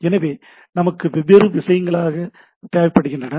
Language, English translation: Tamil, So, we require different type of things